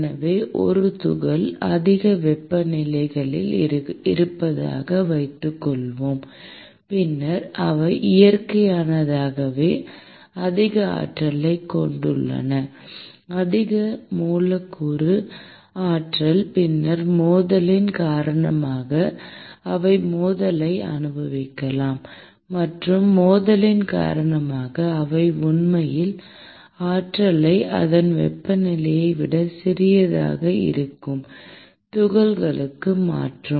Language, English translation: Tamil, So, suppose a particle is at higher temperature, then they naturally have higher energy higher molecular energy; and then due to collision they may experience collision and due to collision they actually transfer energy to those particles whose temperature is actually smaller then the temperature of itself